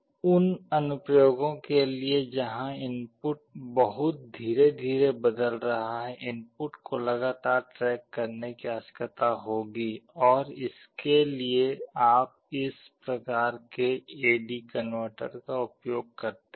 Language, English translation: Hindi, For applications where the input is changing very slowly and we will need to continuously track the input you can use this kind of AD converter